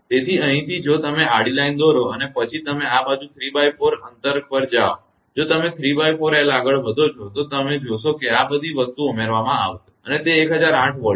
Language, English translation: Gujarati, So, from here if you draw a horizontal line right and then you this side is 3 by 4 distance you take 3 by 4 l you move up then you will see all these things will be added and it will be 1008 Volt